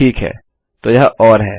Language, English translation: Hindi, Okay so thats the or